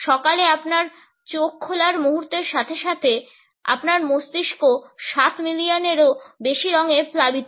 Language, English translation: Bengali, Moment you open your eyes in the morning, your brain is flooded with over seven million colors